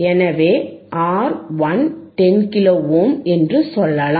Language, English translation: Tamil, So, let us say R 1 is 10 kilo ohm